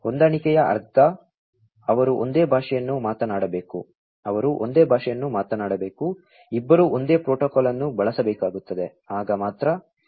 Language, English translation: Kannada, Compatible means, that they have to talk the same language, they will have to talk the same language, basically you know, both will have to use the same protocol then only the communication can happen